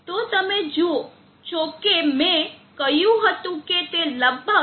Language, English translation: Gujarati, So you see that I said that it should settle at around 0